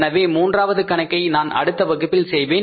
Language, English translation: Tamil, So third problem I will do in the next class